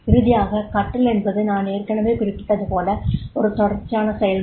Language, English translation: Tamil, Finally is there, that is the learning as I mentioned is a continuous process